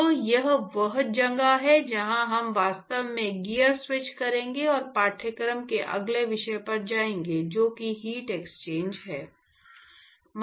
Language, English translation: Hindi, So, that is where we will actually switch gears and go to the next topic of the course which is heat exchanger